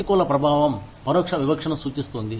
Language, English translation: Telugu, Adverse impact refers to, indirect discrimination